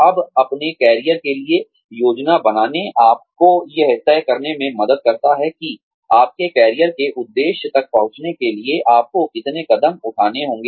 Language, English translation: Hindi, Now, planning for your careers, helps you decide, the number of steps, you need to take, to reach your career objective